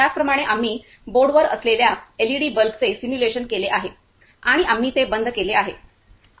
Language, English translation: Marathi, Similarly we have simulated LED bulb that is on the board and we turn it off ok